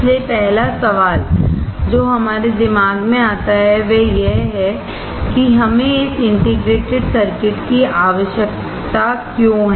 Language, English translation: Hindi, So, the first question that comes to our mind is why we need this integrated circuit